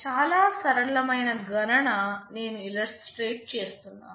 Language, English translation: Telugu, Just a very simple calculation I am just illustrating